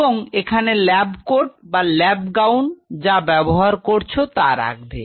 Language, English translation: Bengali, And you have to put on the lab coat or the lab gown what isoever your following